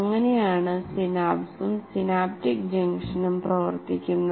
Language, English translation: Malayalam, That is how the synapse and synaptic junction operate